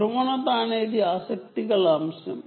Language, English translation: Telugu, polarization is the topic of interest